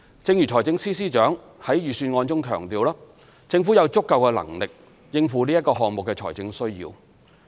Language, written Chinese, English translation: Cantonese, 正如財政司司長在預算案中強調，政府有足夠的能力應付此項目的財政需要。, As stressed by the Financial Secretary in the Budget the Government is capable of meeting the funding needs of the project